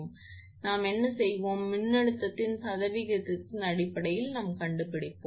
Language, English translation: Tamil, So, what will do we will assume that we in terms of percentage of voltage we will find out